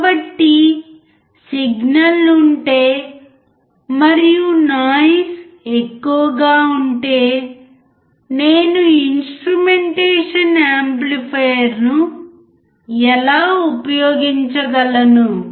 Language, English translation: Telugu, So, if I have a signal and there is a presence of huge noise, how can I use the instrumentation amplifier